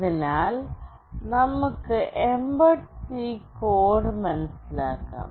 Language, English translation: Malayalam, So, let us understand the mbed C code